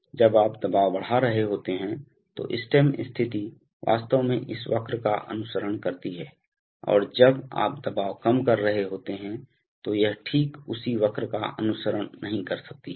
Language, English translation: Hindi, So when you are increasing the pressure the stem position may actually follow this curve and when you are decreasing the pressure it may not follow exactly the same curve